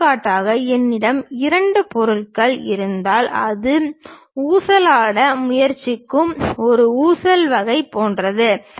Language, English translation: Tamil, For example, if I have an object having two materials, perhaps it is more like a pendulum kind of thing which is trying to swing